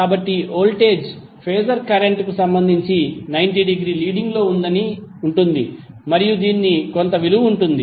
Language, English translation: Telugu, So the voltage Phasor would be 90 degree leading with respect to current and it has some value